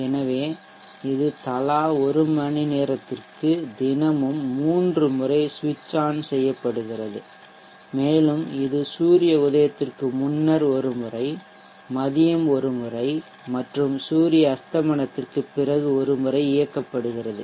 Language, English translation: Tamil, So it is it is switched on three times daily for one hour duration each and it is switched on once before sunrise, once at noon and once after sunset